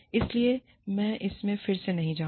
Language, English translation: Hindi, So, i will not go into it, again